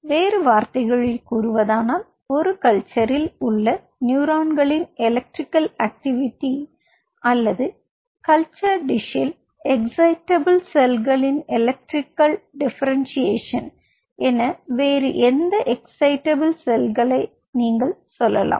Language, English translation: Tamil, in other word, you can term it as electrical differentiation of neurons in a culture or any other excitable cell as electrical differentiation of excitable cells in a culture dish